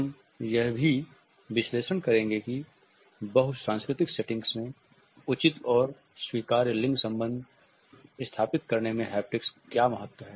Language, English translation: Hindi, We would also analyze what is the significance of haptics in establishing appropriate and acceptable gender relationship in a multicultural setting